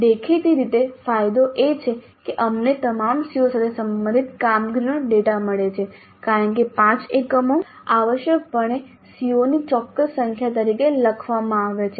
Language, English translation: Gujarati, Obviously the advantage is that we get performance data regarding all COs because the five units essentially are written down as certain number of COs